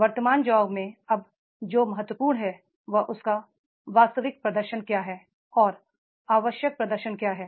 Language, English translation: Hindi, Now in the present job what is important is what is his actual performance and what is the required performance is there